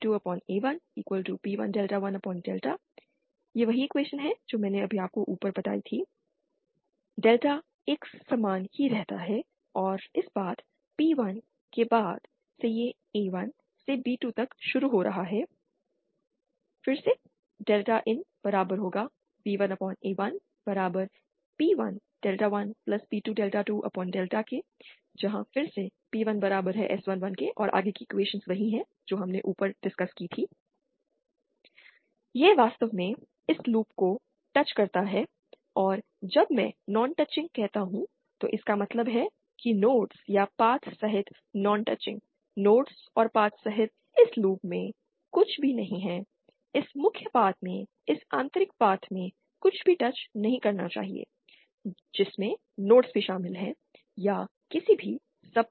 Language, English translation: Hindi, There is only one path between B2 and A1 which is along this path S21 and hence P1 is equal to S 21, delta remains the same and since this path, P1, it is starting from A1 to B2, it actually touches this loop and when I say non touching, it means non touching at all, including nodes or paths, nothing in this loop including the nodes and paths should touch anything in this inner path in this main path, including the nodes or any sub paths